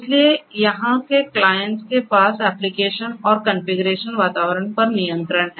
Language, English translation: Hindi, So, the clients over here have control over the applications and the configuration environment that they have